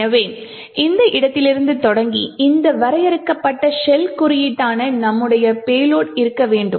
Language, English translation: Tamil, So, starting from this location we would want our payload that is the shell code defined over here to be present